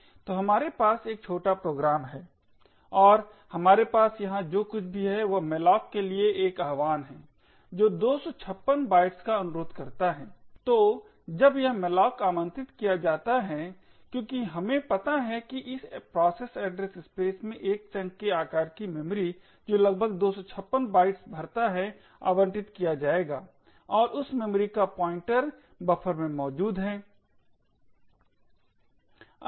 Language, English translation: Hindi, So we have a small C program here and what we have here is an invocation to malloc which request 256 bytes, so when this malloc gets invoked as we know that in the process address space a chunk of memory of the size which is approximately 256 bytes would get allocated and the pointer to that memory is present in buffer